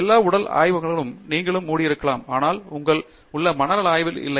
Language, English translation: Tamil, All the physical labs you may close, but not the mental lab that you have